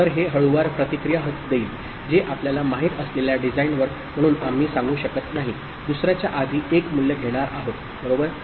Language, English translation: Marathi, So, that will respond slower which we cannot say as a designer which one is you know, going to acquire the 1 value before the other, right